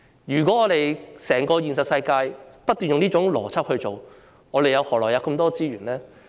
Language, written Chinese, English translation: Cantonese, 如果在現實世界中不斷運用這種邏輯，我們何來這麼多資源呢？, If they continue to apply this logic in the real world where can we get so many resources?